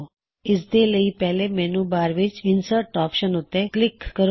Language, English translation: Punjabi, To access this option, first click on the Insert option in the menu bar